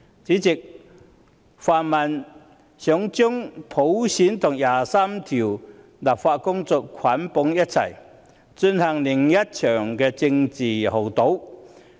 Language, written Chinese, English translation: Cantonese, 主席，泛民想將普選和就第二十三條立法的工作捆綁在一起，進行另一場政治豪賭。, President the pan - democrats want to bundle together the work on universal suffrage and legislating for Article 23 and engage in another round of political gambling